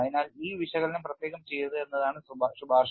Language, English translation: Malayalam, So, the recommendation is do not do these analysis separately